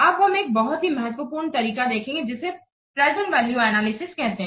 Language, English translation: Hindi, Now we will see one of the important method that is known as present value analysis